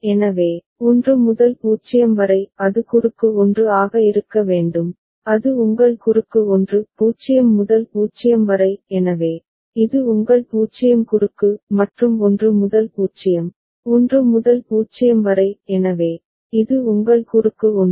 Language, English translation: Tamil, So, 1 to 0; it should be cross 1 so, that is your cross 1; 0 to 0 so, this is your 0 cross; and 1 to 0, 1 to 0 so, this is your cross 1